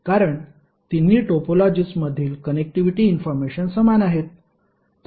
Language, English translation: Marathi, Why because the connectivity information in all the three topologies are same